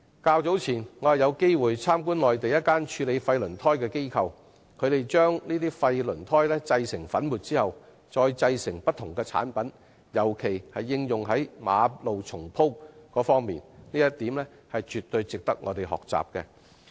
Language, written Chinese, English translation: Cantonese, 較早前，我曾經參觀內地一間處理廢輪胎的機構，看到廢輪胎製成粉末後可製成不同產品，特別是用以重鋪馬路的物料，這一點絕對值得我們學習。, During an earlier visit to an organization handling waste typres on the Mainland we noted that waste tyres can be crushed into powder and turned into a variety of products . In particular they can be used as materials for road resurfacing . It is absolutely worthwhile for us to learn from it